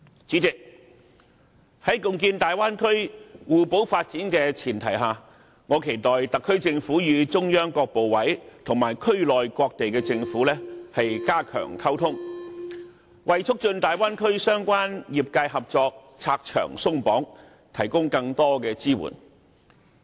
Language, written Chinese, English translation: Cantonese, 主席，在貢獻大灣區互補發展的前提下，我期待特區政府與中央各部委及區內各地的政府加強溝通，為促進大灣區相關業界合作拆牆鬆綁，提供更多的支援。, President I hope that on the premise of strengthening complementary partnership in the development of the Bay Area the SAR Government can step up its communication with the ministries of the Central Authorities and the local governments in the area with a view to removing obstacles to the cooperation of the relevant sectors in the Bay Area and providing them with more assistance and support